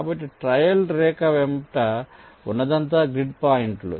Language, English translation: Telugu, so along the trail line, all its grid points are traced